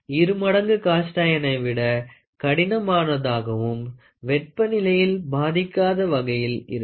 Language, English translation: Tamil, Twice as hard as cast iron and not affected by temperature